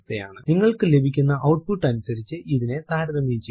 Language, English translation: Malayalam, Match this according to the output you are getting